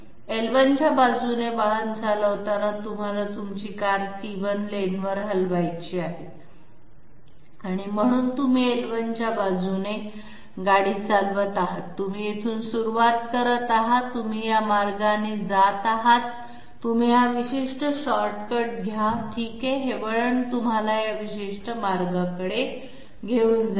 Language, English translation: Marathi, Driving along L1, you want to shift your car to the lane C1, so you are driving along L1, you are starting from here, you are moving this way, you take this particular shortcut okay and this diversion leads you to this particular route okay